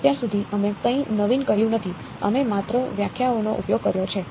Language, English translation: Gujarati, So far we have not done anything fancy we have just used definitions